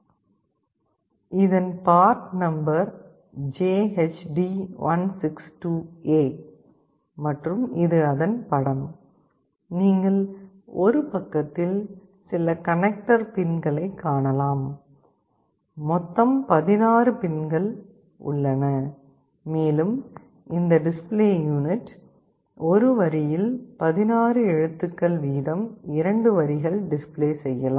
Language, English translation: Tamil, The part number is JHD162A and this is the picture of it, you can see on one side there are some connector pins, a total of 16 pins are provided and this display unit can display 2 lines of characters, 16 characters each